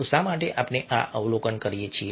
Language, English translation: Gujarati, so why do we observe this